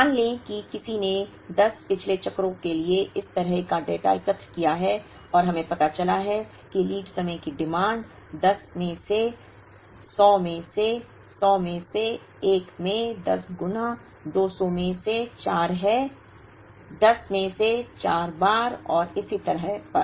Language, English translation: Hindi, Let us say someone has collected such a data for 10 past cycles and we have realize that the lead time demand has been 100 in 1 out of the 10 times 150 in 2 out of the 10 times 200, 4 out of the 10 times and so on